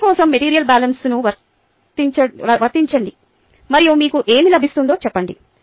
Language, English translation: Telugu, apply the material balance for a and tell me what you get